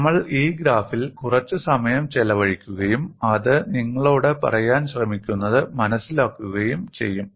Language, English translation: Malayalam, We will spend some time on this graph and understand what it tries to tell you